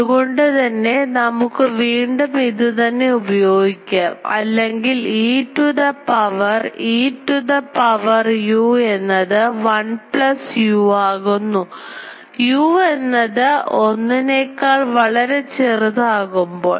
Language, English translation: Malayalam, So, we may again use this thing or e to the power e to the power u becomes 1 plus u when u is much much less than 1